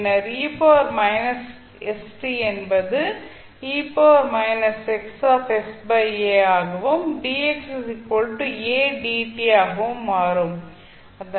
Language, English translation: Tamil, So, dx will be a dt